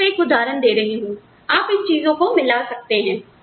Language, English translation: Hindi, I am just giving an example of how, you can integrate these things